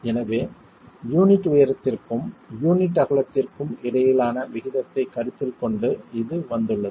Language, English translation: Tamil, So this has been arrived at considering a proportion between the unit height and the unit width